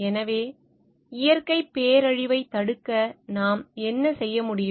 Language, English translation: Tamil, So, what we can do for preventing of natural disaster